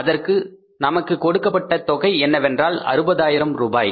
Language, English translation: Tamil, The amount given to us is 60,000s